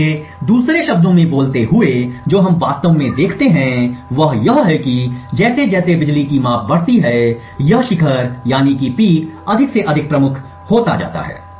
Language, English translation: Hindi, So, speaking in another words what we actually see is that as the number of power measurements increases, this peak becomes more and more prominent